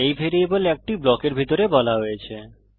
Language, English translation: Bengali, These variables are declared inside a block